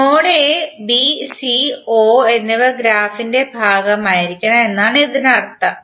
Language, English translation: Malayalam, It means that node a, b, c and o should be part of the graph